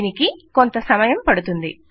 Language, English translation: Telugu, Its going to take a while